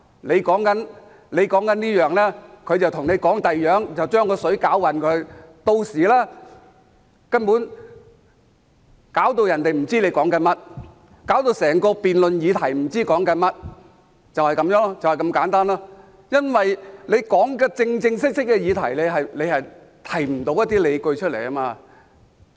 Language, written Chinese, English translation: Cantonese, 你說這件事，他卻和你說另一件事，把事情搞混，令人根本無法知道他們在說甚麼，令整個辯論議題不知道是在討論甚麼，因為他們無法就真正的議題提出理據，就是這麼簡單。, When you are talking about something they would discuss with you another issue so as to cause confusion and make it impossible for others to know what they are talking about so that people would not know what is being discussed in respect of the entire debate subject . It is because they are unable to put forward any justifications on the real topic . It is that simple